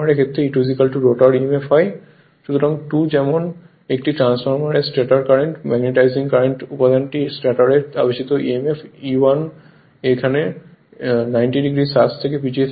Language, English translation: Bengali, So, number 2 like in a transformer the magnetizing current component I m of the stator current lags the stator induced emf E1by 90 degree same as before